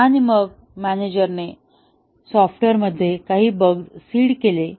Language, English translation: Marathi, And then, the manager seeded some bugs in the software